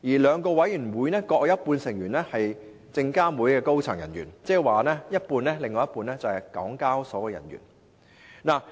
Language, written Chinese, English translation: Cantonese, 兩個委員會各有一半成員是證監會的高層人員，另一半則是港交所的人員。, Half of the members of these two Committees are senior personnel from SFC and the other half are HKEx personnel